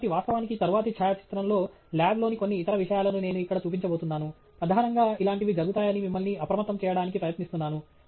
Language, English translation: Telugu, So, in fact, in the next photograph I am going to show here little bit of other things in the lab will be there, primarily, to alert you to the fact such things happen